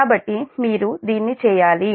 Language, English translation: Telugu, so you should do this